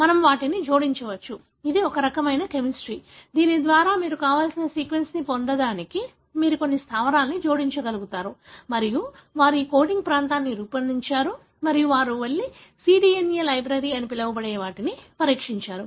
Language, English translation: Telugu, We can add those, it is a kind of chemistry by which you will be able to add certain bases to get kind of sequence that you want and they have designed this coding region and then they went and screened what is called as a cDNA library